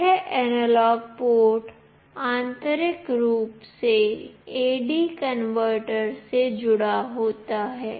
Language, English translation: Hindi, This analog port internally is connected to an AD converter